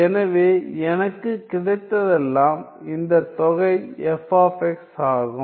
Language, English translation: Tamil, So, all I get is that this integral is f of x